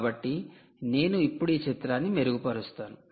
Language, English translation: Telugu, so i will improve this picture